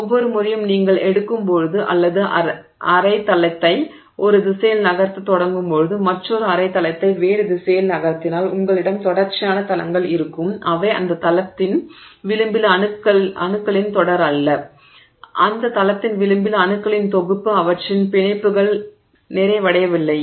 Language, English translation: Tamil, So, every time you break that, you take all you, you start moving half a plane in one direction, you move another half a plane in some other direction, then you have a series of planes which are not the series of atoms along the edge of that plane, along the edge of that plane, that set of atoms do not have their bonds completed